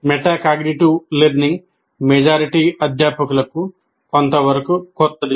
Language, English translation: Telugu, This area, metacognitive learning, is somewhat new to majority of the faculty